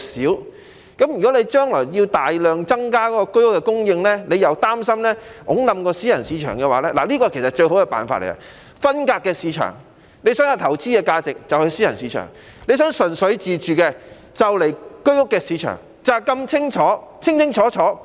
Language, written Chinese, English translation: Cantonese, 如果他將來因為要大量增加居屋供應，而擔心會推倒私人物業市場的話，最好的辦法其實是將兩個市場分隔，有投資性質的就去私人市場，如果純粹自住的便到居屋的市場，就是如此清楚。, If he is concerned that the private residential market will be brought down by a huge supply of HOS flats the best approach is to segregate the two markets . People who wish to make property investment can go to the private residential market and those who wish to acquire property for self - occupation can go to the HOS market